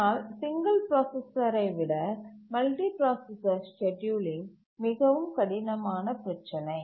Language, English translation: Tamil, But multiprocessor scheduling is a much more difficult problem than the single processor